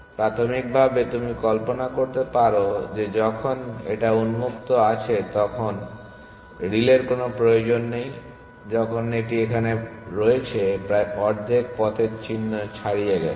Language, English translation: Bengali, Initially, you can imagine when the open is here there is no need for relay only when it has pushed beyond roughly the half way mark which is here